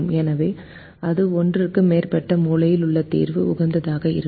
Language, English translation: Tamil, so that would give us a case with more corner point solution being optimum